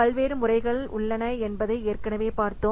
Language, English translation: Tamil, We have already seen that various methodologies are there